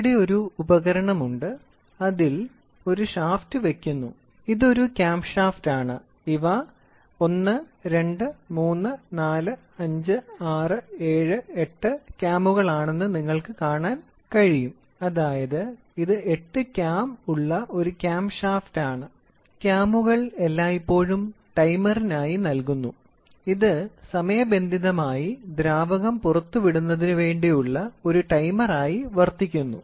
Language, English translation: Malayalam, So, here is an instrument which is here is a shaft which is a cam shaft you can see these are cams 1, 2, 3, 4, 5, 6, 7 and 8, it is a cam shaft with a maybe 8 cam; cams are always given for timer it is something like a timer are timely release of fluid or whatever it is so, it is there